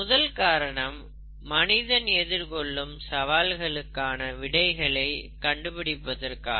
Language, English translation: Tamil, First, to find solutions to challenges, that face mankind